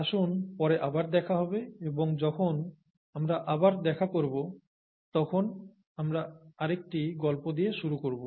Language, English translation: Bengali, Let us meet again later and when we meet again, we will continue with another story